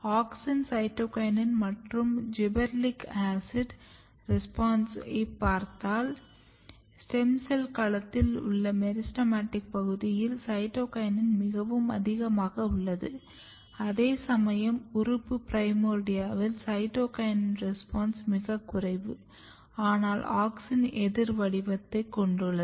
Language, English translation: Tamil, If you look the responses of auxin cytokinin and gibberellic acid what you see that, cytokinin is very dominantly present in the meristematic region in the stem cell region whereas, the response of cytokinin in organ primordia is very very low, but auxin has about opposite pattern